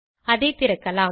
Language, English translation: Tamil, Lets open it